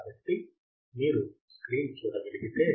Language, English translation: Telugu, So, if you can see the screen